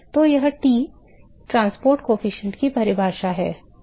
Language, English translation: Hindi, So, that is the definition of t transport coefficient and